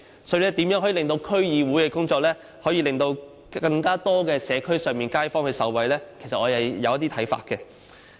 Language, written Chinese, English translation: Cantonese, 所以，對於如何使區議會的工作令更多社區街坊受惠，其實我是有一些看法的。, On the question of how best to make the work of District Councils DCs benefit more kaifongs in the communities actually I have some views